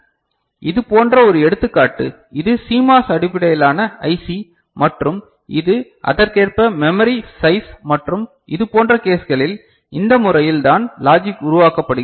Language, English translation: Tamil, So, this is one such examples this is another example these are CMOS based IC and these are the corresponding size of the memory right and this is the way the logics are generated in those cases fine